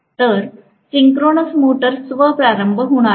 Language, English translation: Marathi, So, synchronous motor is not going to be self starting